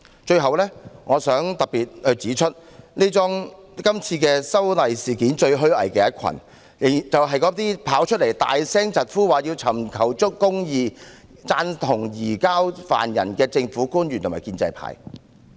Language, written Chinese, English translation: Cantonese, 最後，我想特別指出，在這次修例事件中，最虛偽的一群是那些走出來高聲疾呼要尋求公義、贊同移交疑犯的政府官員及建制派。, Last of all I would like to highlight in particular that in the present legislative amendment the most hypocritical people are the government officials and the pro - establishment camp . They stand up to call for the quest for justice and support the surrender of the suspect . I nonetheless feel very puzzled